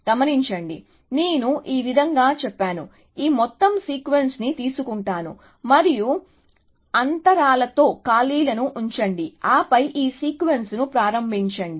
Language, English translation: Telugu, Observe that, I could have simplify said like this, that take this whole sequence, and the place it with gaps all the way, and then start this sequence